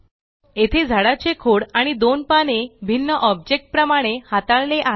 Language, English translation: Marathi, Here the Tree trunk and the two Leaves are treated as separate objects